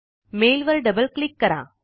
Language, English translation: Marathi, Double click on the mail